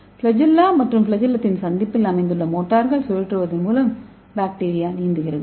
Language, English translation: Tamil, So and bacteria swim by rotating the flagella and motor located at junction of the flagellum